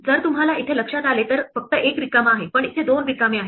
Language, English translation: Marathi, If you notice here, there is only one blank, but here there are two blanks